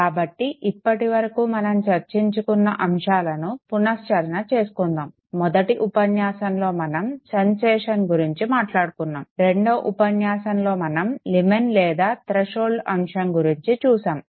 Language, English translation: Telugu, So let us now recapitulate whatever we have discussed till now, first lecture we focused on sensation, second lecture we looked at the concept of limen or threshold